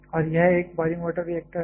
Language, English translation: Hindi, And this is a boiling water reactor